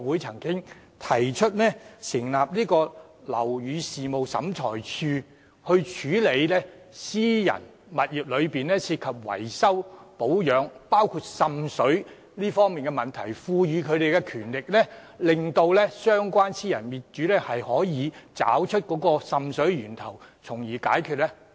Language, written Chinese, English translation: Cantonese, 即成立樓宇事務審裁處以處理私人物業的維修、保養問題，包括滲水問題，並賦予審裁處權力，幫助私人業主找出滲水源頭，從而解決問題。, establishing a Building Affairs Tribunal BAT for resolving disputes over maintenance and repair of private buildings including seepage problems and empowering BAT to help private owners identify the source of seepage and solve the problems